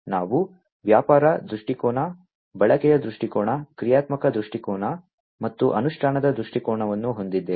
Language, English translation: Kannada, So, we have the business viewpoint, usage viewpoint, functional viewpoint and the implementation viewpoint